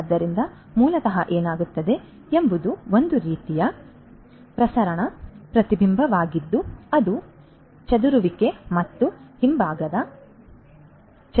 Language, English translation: Kannada, So, basically what is happening is some kind of sorry diffuse reflection that is going to happen due to the scattering and the back scattering